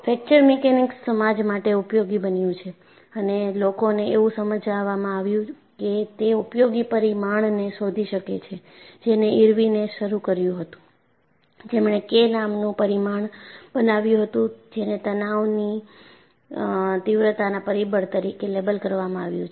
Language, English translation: Gujarati, And fracture mechanics was made useful to society, and people realized that people could find out the useful parameter that was initiated by Irwin, who coined a parameter called K, which is labeled as stress intensity factor